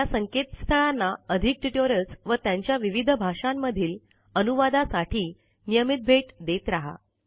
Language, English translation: Marathi, Keep watching these links for more spoken tutorials and their translation in other languages